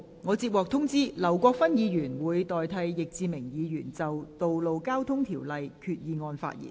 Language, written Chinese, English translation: Cantonese, 我接獲通知，劉國勳議員會代替易志明議員就根據《道路交通條例》動議的擬議決議案發言。, I was informed that Mr LAU Kwok - fan will speak for Mr Frankie YICK on the proposed resolution under the Road Traffic Ordinance